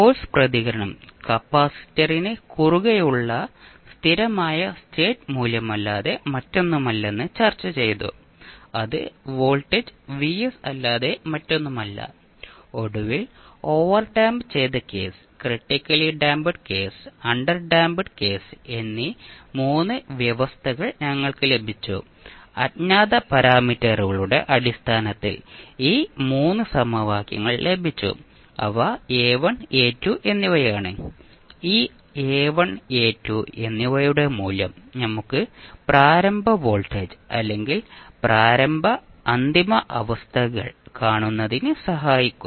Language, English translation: Malayalam, And then we discussed that the force response is nothing but the steady state value across the capacitor that is nothing but the voltage Vs and finally we got the 3 conditions that is overdamped case, critically damped case and underdamped case and what we were discussing in the last class is that, we have got this 3 equations in terms of 2 unknowns those are A1 and A2 which we can the value of this A1 and A2 can be found with the help of seeing the initial and final conditions, like initial voltage or voltage across capacitor, initial current through inductor and similarly the final values so on